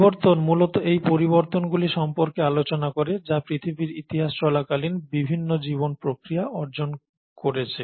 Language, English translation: Bengali, So, evolution essentially talks about these changes which have been acquired by various life processes over the course of earth’s history